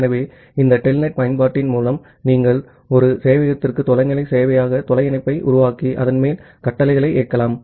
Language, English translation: Tamil, So, with this telnet application you can make a remote server remote connection to a server and then execute the commands on top of that